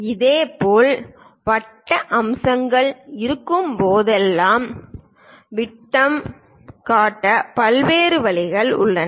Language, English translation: Tamil, Similarly, whenever circular features are there, there are different ways of showing diameter